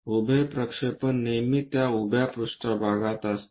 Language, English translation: Marathi, The vertical projection always be on that vertical plane